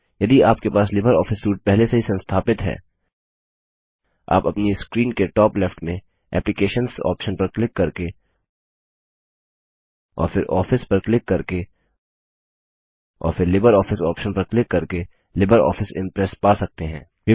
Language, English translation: Hindi, If you have already installed LibreOffice Suite, you will find LibreOffice Impress by clicking on the Applications option at the top left of your screen and then clicking on Office and then on LibreOffice option